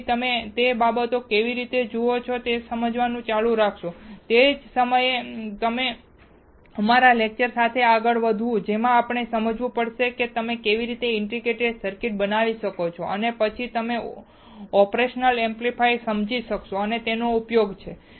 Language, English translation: Gujarati, So, that you keep on understanding how the things looks like, the same time we will move forward with our lecture in which we have to understand how you can fabricate the integrated circuit and then you will understand the operational amplifier and it is uses